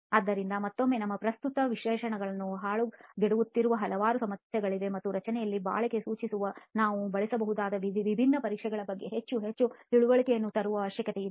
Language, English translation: Kannada, So again there are several issues plaguing our current specifications and the need is there to really bring in more and more understanding of different tests that we can use to specify durability in the structure, okay